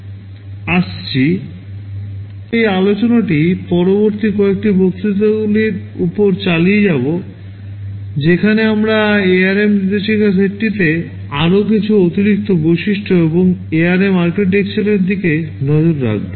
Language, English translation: Bengali, We shall be continuing this discussion over the next couple of lectures where we shall be looking at some of the more additional features that are there in the ARM instruction set and also the ARM architectures